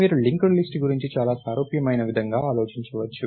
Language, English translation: Telugu, You can think of linked list in a very similar way